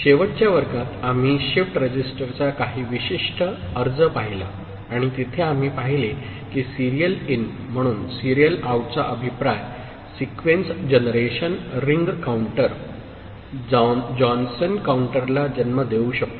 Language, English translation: Marathi, In the last class we saw certain application of shift register and there we saw that a feedback of the serial out as serial in can give rise to Sequence generation Ring counter, Johnson counter